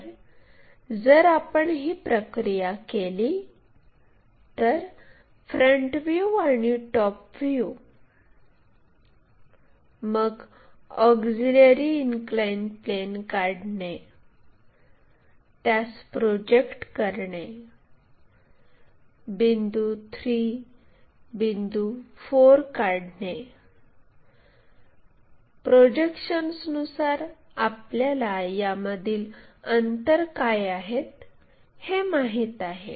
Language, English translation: Marathi, So, if we do that procedure, front view front view top view then constructing auxiliary inclined plane, project them all the way, locate 3 4 points; from projections we know what is this distance, relocate a and b lines